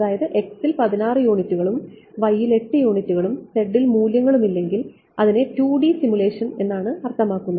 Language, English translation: Malayalam, So, 16 units in x, 8 units in y and no size in z means its 2D simulation that is all that it means